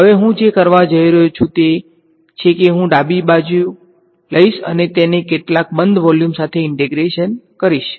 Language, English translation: Gujarati, Now what I am going to do is I am going to take this whole left hand side and integrat it over some closed volume ok